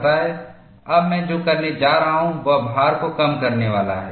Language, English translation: Hindi, Now, what I am going to do is, I am going to reduce the load